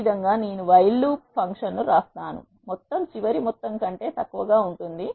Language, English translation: Telugu, This is how I write a while function while sum is less than final sum